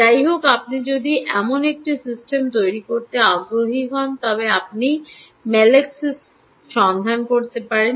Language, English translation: Bengali, by the way, if you are interested in building such a system, you could look up melaxis